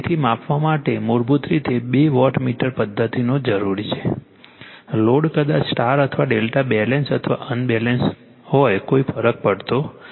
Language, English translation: Gujarati, So, basically you need two wattmeter method for measuring the, load maybe star or delta Balanced or , Unbalanced does not matter